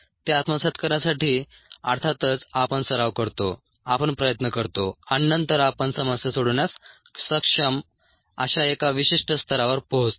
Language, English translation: Marathi, to pick it up, of course, we practice, we put an effort and then we get to a certain level of be able to do problems